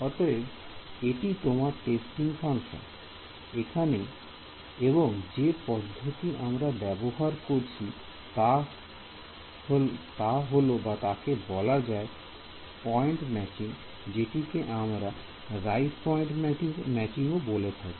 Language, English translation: Bengali, So, this was your testing function over here and the method we had I mean name for this was given as point matching what point matching was the name we have given right point matching ok